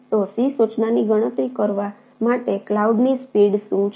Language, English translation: Gujarati, so what is s, the speed of cloud to compute the c instruction